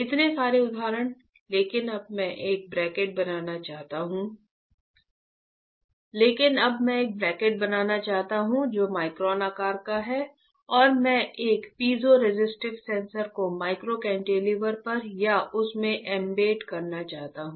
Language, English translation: Hindi, So many examples but now, I want to fabricate a cantilever which is of micron size and I want to embed a piezoresistive sensor on to the or into the micro cantilever